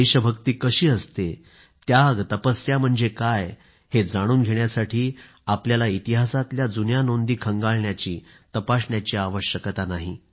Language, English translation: Marathi, To understand the virtues of patriotism, sacrifice and perseverance, one doesn't need to revert to historical events